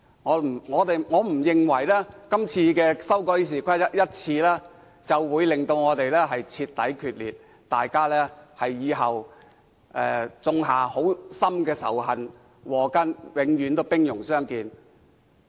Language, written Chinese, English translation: Cantonese, 我不認為今次修改《議事規則》會令雙方徹底決裂，種下深仇禍根，往後永遠兵戎相見。, I do not think the current amendment of RoP will complete break both camps apart and sow the seeds of deep hatred so that both camps will always be at war